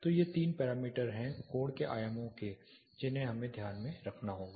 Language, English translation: Hindi, So, these three parameters are the angles dimensions have to be kept in mind